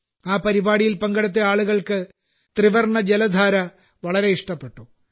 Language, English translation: Malayalam, The people participating in the program liked the tricolor water fountain very much